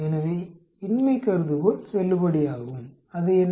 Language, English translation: Tamil, So, null hypothesis is valid, what is it